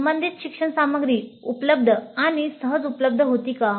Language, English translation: Marathi, The learning material provided was relevant